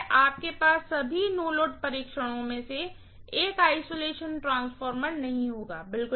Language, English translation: Hindi, You will not have an isolation transformer in all the no load tests, not at all